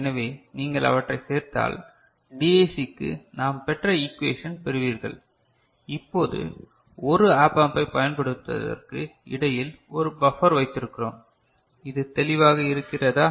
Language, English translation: Tamil, So, if you add them up you will get the equation that we had got for the DAC, now we have got a buffer put in between using an op amp is it clear